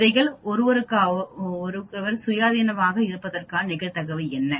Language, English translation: Tamil, What is the probability that the seeds are independent of each other